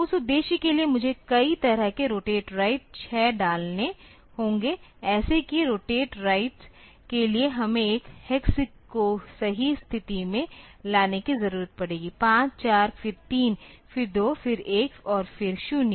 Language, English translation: Hindi, So, for that purpose I need to do, put a number of rotate rights 6 such rotate rights we will be require rotate right a hex into position 5 4 then 3, then 2, then 1 and then 0